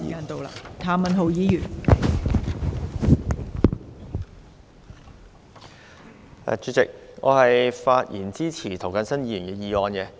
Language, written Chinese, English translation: Cantonese, 代理主席，我發言支持涂謹申議員的議案。, Deputy President I rise to speak in support of Mr James TOs motion